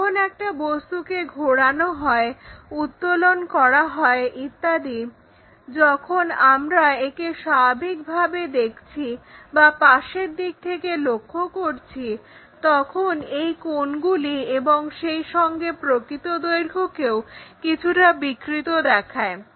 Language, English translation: Bengali, When an object is rotated, lifted and so on so things, when you are looking either normal to it or side view kind of thing these angles and also the true lengths are slightly distorted